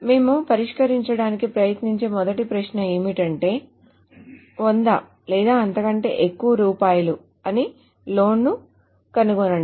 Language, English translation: Telugu, So the first query that we will try to solve is find all loans of rupees 100 or over